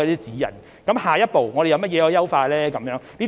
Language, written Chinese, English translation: Cantonese, 至於下一步可以優化些甚麼呢？, What is the next enhancement to be made?